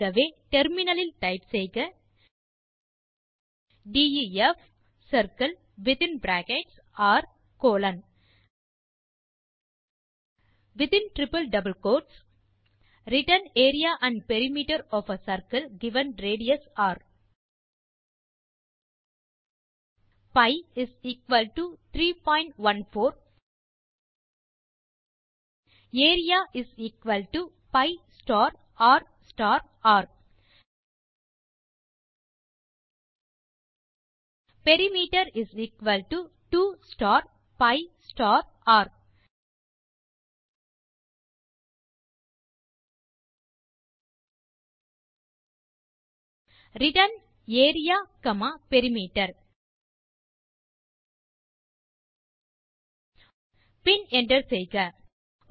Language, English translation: Tamil, We can solve the problem as, So now we can type in terminal def circle within bracket r colon returns area and perimeter of a circle given radius r pi = 3.14 area = pi star r star r perimeter = 2 star pi star r return area comma perimeter and hit enter